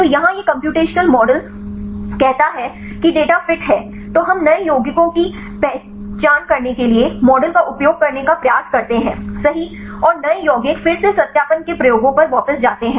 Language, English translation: Hindi, So, here this is the computational model say fit the data, then we try to use the model right to identify new compounds and the new compounds again this go back to the experiments for verification